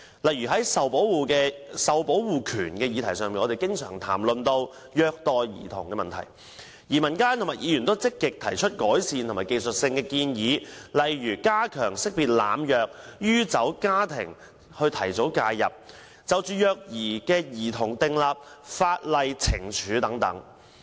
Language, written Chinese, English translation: Cantonese, 例如，在受保護權這個議題上，我們經常談到虐待兒童的問題，民間和議員都積極提出改善的技術性建議，例如加強識別濫藥或酗酒家庭，從而提早介入，以及就虐待兒童訂立法例懲處等。, For example insofar as the right to protection is concerned society and Members have actively put forward technical recommendations to address the problem of child abuse such as strengthening the identification of drug or alcohol abuse families for early intervention and enacting a law on penalty for child abuse etc